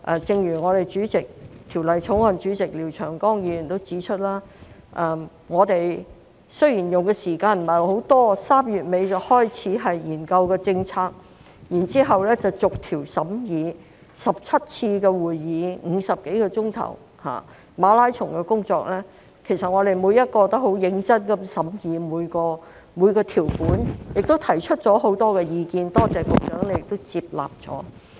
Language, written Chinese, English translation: Cantonese, 正如法案委員會主席廖長江議員指出，雖然我們用的時間不太多 ，3 月尾開始研究政策，然後逐項審議 ，17 次會議、50多小時的馬拉松工作，我們每一位也很認真的審議每項條款，提出了很多意見，多謝局長亦接納了。, As pointed out by the Chairman of the Bills Committee Mr Martin LIAO we did not spend too much time on it . However we started the policy study in late March and after that the clause - by - clause examination . Seventeen meetings were held or more than 50 hours of work in marathon style